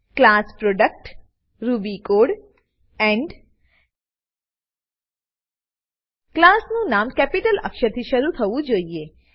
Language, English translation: Gujarati, class Product ruby code end The name of the class must begin with a capital letter